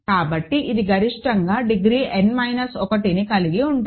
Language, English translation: Telugu, So, this is at most degree n minus 1